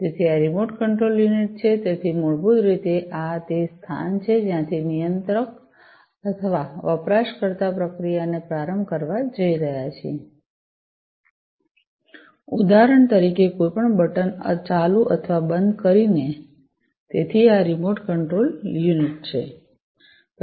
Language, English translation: Gujarati, So, this is the remote control unit so, basically this is the place from where the controller or the user is going to start the process with the switching on or, off of any button for instance right so, this is the remote control unit